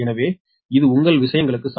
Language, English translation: Tamil, so the this one is equal to your this things